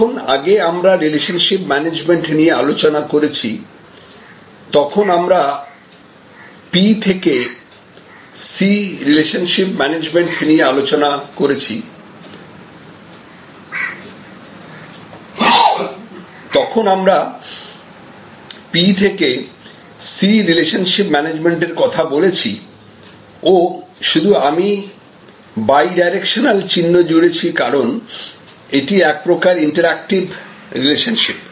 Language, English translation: Bengali, So, far we have been discussing, when we earlier discussed about relationship management, we discussed about this P to C relationship management and I just added bidirectional arrow, because it is an interactive relationship